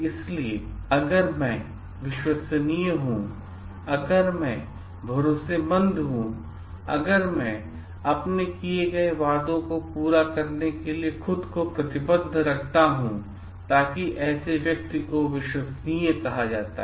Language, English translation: Hindi, So, if I am reliable, if I am trustworthy if I engage myself to fulfil the promises that have made, so that person is called reliable